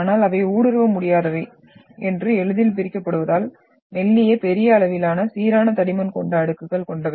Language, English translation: Tamil, But since they are impermeable and split easily, thin, large sized slabs of uniform thickness